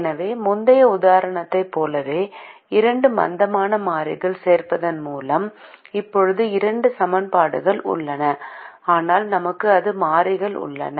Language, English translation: Tamil, so once again we observe, like in the previous example, that with the addition of the two slack variables, we now have two equations, but we have four variables